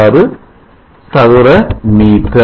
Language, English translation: Tamil, 15 6 meter square